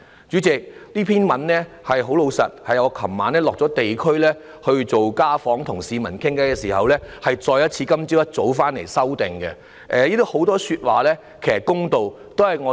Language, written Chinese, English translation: Cantonese, 主席，這篇發言稿是我昨天落區進行家訪與市民聊天後，今天早上回來再作修改的，當中很多都是公道的說話。, President this script was revised by me when I came back this morning after my home visits and chats with members of the public in the district yesterday . It carries mostly fair comments